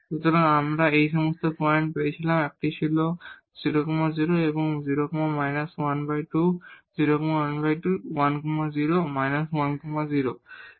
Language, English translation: Bengali, So, we got all these points one was 0 0 and 0 plus minus half and plus minus 1 0